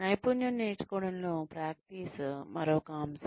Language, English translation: Telugu, Practice is another aspect of skill learning